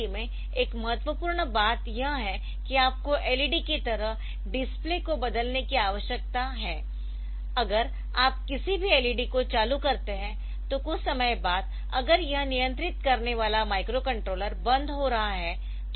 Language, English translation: Hindi, So, LCD another important thing is that you need to replace the display like in led also if you turn on any led then after some time so, if that the microcontroller which is controlling it